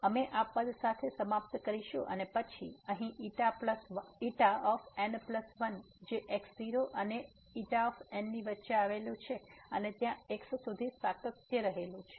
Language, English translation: Gujarati, So, we will end up with this term and then here the xi plus 1 lies between and the xi n and there was a continuity up to there